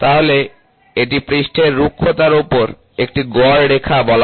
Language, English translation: Bengali, So, that is called as mean line of surface roughness, ok